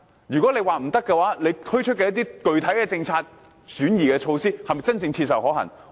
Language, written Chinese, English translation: Cantonese, 如果政府說不行，政府推出的一些具體政策措施，是否真正切實可行？, If the Government considers these proposals not practicable are the concrete measures introduced by the Government feasible?